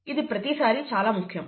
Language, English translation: Telugu, It is always important